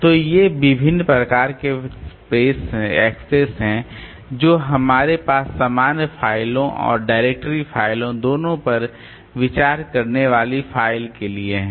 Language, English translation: Hindi, So, these are the different types of accesses that you have for a file considering both the general files and directory files